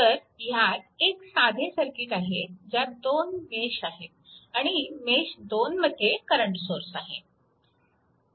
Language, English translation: Marathi, So, I will show you a simple circuit having 2 meshes current source exist in mesh 2, right